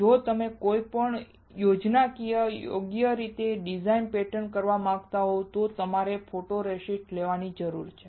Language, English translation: Gujarati, If you want to pattern any schematic any design you need to have a photoresist